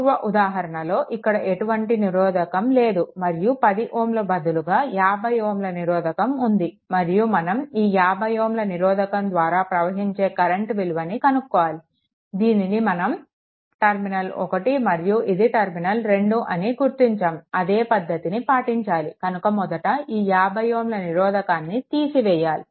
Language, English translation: Telugu, Previous case there was no there was no resistor here, but one 50 ohm 10 ohm resistance is there and you have to find out that what is the current through the 50 ohm resistance say this terminal you mark at 1 and this terminal you mark at 2 right and then, you follow and so, first is we have to open this resistance 50 ohm resistance